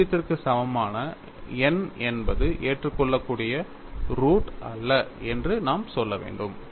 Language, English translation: Tamil, We should say n equal to 0 is not an admissible root; that is the conclusion